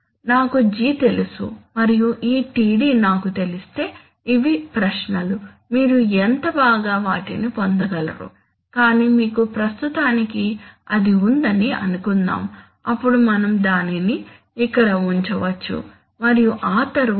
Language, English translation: Telugu, If I knew G and if I knew this Td, these are, these are questions, how well you can, you can get them but suppose for the time being that you have it, then we could put it here and then